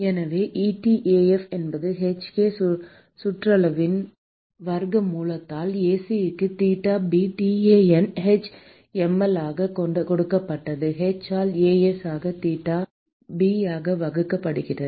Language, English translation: Tamil, So, etaf simply given by square root of hk perimeter into Ac into theta b tanh mL divided by h into a s into theta b ……